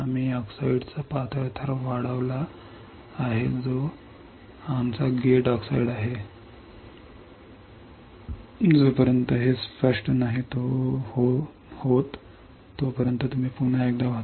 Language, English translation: Marathi, We have grown thin layer of oxide which is our gate oxide, until this is clear yes no then you read once again